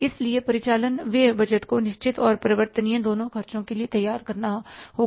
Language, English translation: Hindi, So, operating expenses budget has to be prepared for both fixed and the variable expenses